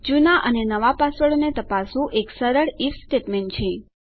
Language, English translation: Gujarati, Checking our old passwords and our new passwords is just a simple IF statement